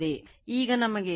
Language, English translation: Kannada, Now, we know E 1 is equal to 4